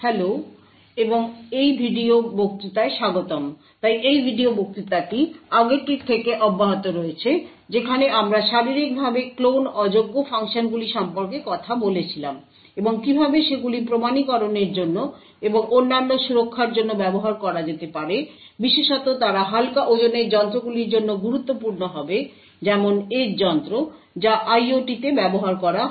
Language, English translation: Bengali, so this video lecture continues from the last one where we spoke about Physically Unclonable Functions and how they could possibly used for authentication and for other security aspects, especially they would be important for lightweight devices like edge devices that are used in IOT